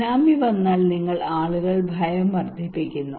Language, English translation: Malayalam, If tsunami is coming and you are increasing people fear